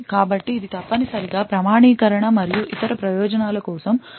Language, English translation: Telugu, So this is essentially utilised for authentication and other purposes